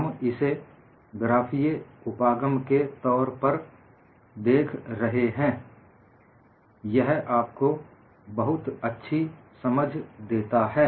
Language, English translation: Hindi, We are looking at from the point of view of graphical approach; it gives you a good amount of understanding